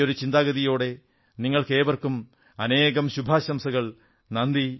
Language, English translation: Malayalam, With these feelings, I extend my best wishes to you all